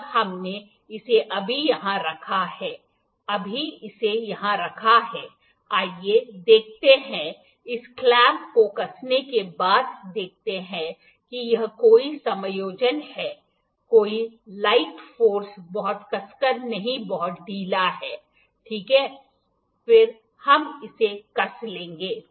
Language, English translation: Hindi, When we have just kept it here, now just kept it here let us see after tighting is after tightening this clamp let us see that it is any adjustment any light force no very tightly just very loosely, it is ok, then we will tighten this